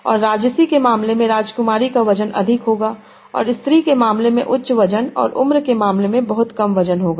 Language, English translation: Hindi, And Prince H will have a high weight in the case of royalty and high weight in the case of feminine and very low weight in the case of age